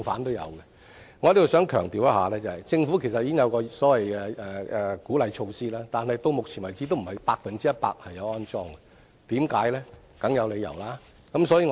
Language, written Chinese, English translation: Cantonese, 我想在這裏強調，政府其實已有所謂的鼓勵措施，但到目前為止，也並非全部的樓宇安裝了充電設施，為甚麼？, I have to stress here that up to now not all new buildings are installed with charging facilities despite the Governments implementation of the so - called facilitating measures . Why?